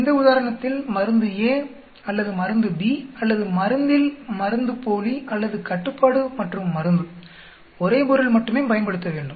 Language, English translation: Tamil, In this case drug A and drug B or placebo on drug or control and drug, same subject has to be used